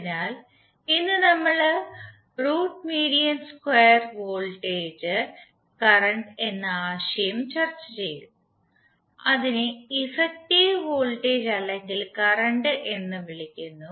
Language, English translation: Malayalam, So today we will discuss the concept of root mean square voltage and current which is also called as effective voltage or current